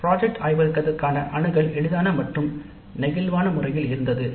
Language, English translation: Tamil, So, access to the project laboratory was easy and flexible